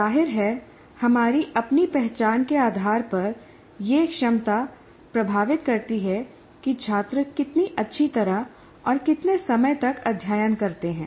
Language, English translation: Hindi, Now, obviously based on this, based on our own metacognition, that ability affects how well and how long students study